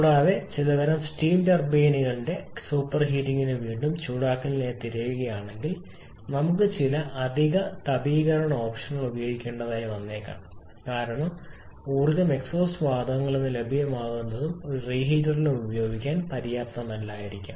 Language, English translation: Malayalam, So, we often need at least double number of gas turbine plants and also if you are looking for some kind of superheating and re heating particularly in case of the steam turbine, we may have to use some additional heating option because the energy again available in the exhaust gases of may not be sufficient to be used in a register as well